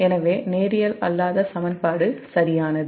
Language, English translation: Tamil, so there is a nonlinear equation, right